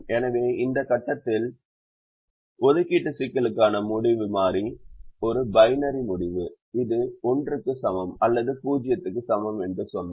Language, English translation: Tamil, so we said the decision variable to the assignment problem at this point is a binary decision: its equal to one or it is equal to zero